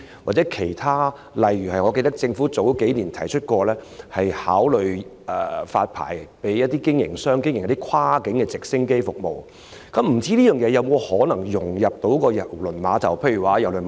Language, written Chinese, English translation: Cantonese, 我記得政府數年前曾經表示會考慮發牌予一些提供跨境直升機服務的營辦商，不知道這項服務能否與郵輪碼頭的配套融合？, I remember that the Government indicated a few years ago that it would consider issuing licences to operators of cross - boundary helicopter service; may I know whether such service can dovetail with the ancillary facilities at KTCT?